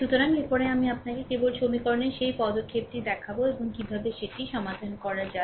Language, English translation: Bengali, So, after that I just show you that step of equation and how to solve it, right